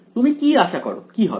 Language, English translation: Bengali, What do you expect should happen